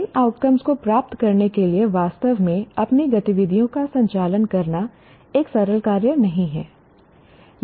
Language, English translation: Hindi, To actually conduct your activities to attain these outcomes is not a simple task